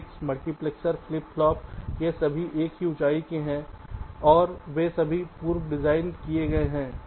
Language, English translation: Hindi, the gates, the multiplexers, the flip plops, they are of same heights and they are all pre designed